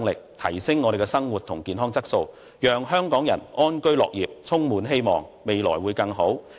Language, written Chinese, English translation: Cantonese, 這一來，香港人的生活和健康質素便能得以改善，大家便能安居樂業，充滿希望，未來會更好。, By so doing the quality of life and health of Hong Kong people can be improved and we can have a happy and contented life filled with hope and a better future